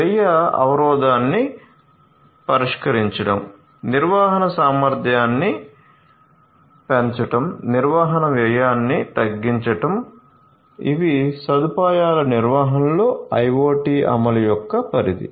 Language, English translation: Telugu, Addressing the cost barrier increasing the operating efficiency, reducing maintenance cost, these are the scopes of IoT implementation in facility management